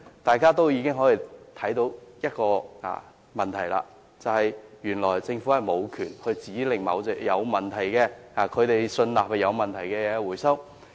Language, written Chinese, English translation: Cantonese, 大家已經可以看出問題，便是原來政府無權指令回收某種他們信納有問題的產品。, Members should have spotted the problem now that is the Government has no lawful power to order the recall of a specific product which the authorities are satisfied that it is problematic